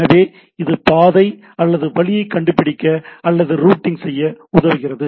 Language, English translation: Tamil, So, it finds a path or route or it helps in routing right